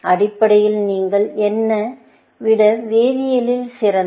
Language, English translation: Tamil, Essentially, again since, you are better at chemistry than I am